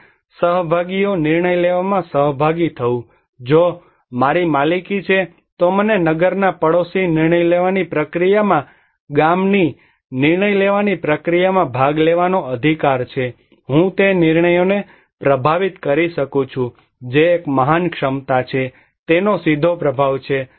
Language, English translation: Gujarati, And participations; participation in decision making, if I have the ownership, I have the right to participate in the village decision making process in the town neighborhood decision making process, I can influence the decisions that is a great capacity, it has a direct impact on my vulnerability